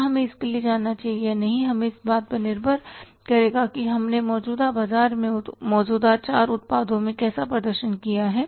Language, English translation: Hindi, Should we go for that or not that will depend upon how we have performed in the existing market in the existing 4 products